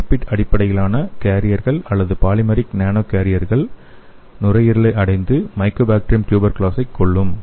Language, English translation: Tamil, So we can have the lipid based carriers or polymeric nano carriers, which can reach the lungs and it can kill the Mycobacterium tuberculosis